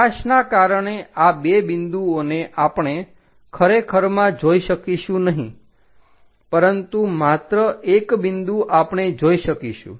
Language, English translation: Gujarati, These two points because of light we cannot really see into two points, but only one point as that we will see